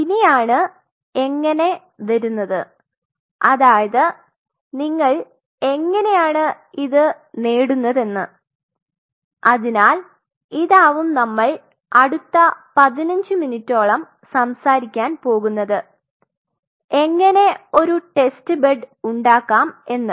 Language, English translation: Malayalam, Now, comes how, how you achieve it and this is what we are going to discuss now for next fifteen minutes how you can create such a test bed